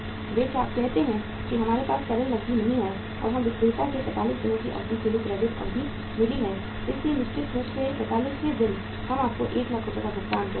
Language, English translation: Hindi, They say that we do not have the liquid cash and we have got the credit period from you as the seller for a period of 45 days so certainly on the 45th day we will be making you the payment of 1 lakh rupees